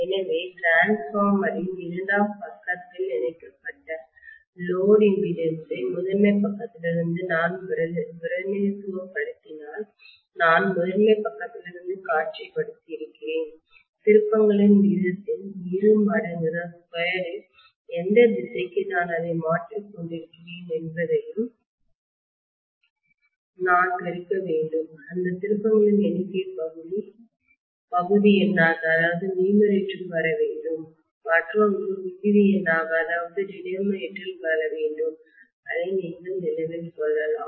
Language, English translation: Tamil, So if I represent the load impedance connected on the secondary side of the transformer from the primary side, I have visualized from the primary side, I have to essentially multiply that by the turns ratio square and to whichever side I am transferring it that number of turns should come in the numerator, the other one should come in the denominator, you can remember it that way